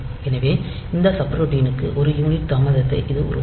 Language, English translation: Tamil, So, it will produce a delay of one unit for that subroutine the delay routine